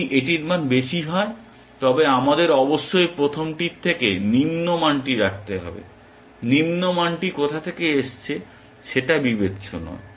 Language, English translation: Bengali, If it has a higher value, we must keep the lower value from the first one, it does not matter where the lower value comes from